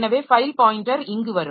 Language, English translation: Tamil, So, file pointer will come here